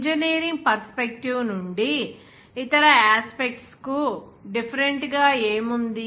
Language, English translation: Telugu, What is different from other aspects of from engineering perspective like